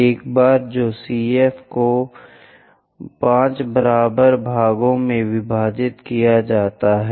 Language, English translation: Hindi, Once that is done divide CF into 5 equal parts